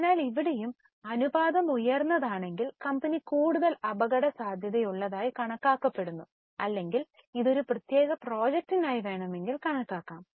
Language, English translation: Malayalam, So, here also if the ratio is higher, the company is considered to be more risky or it can also be calculated for a particular project